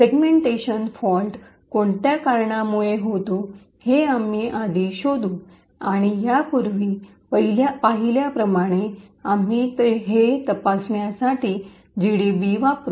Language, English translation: Marathi, We will first investigate what causes this segmentation fault and as we have seen before we would use GDB to make this investigation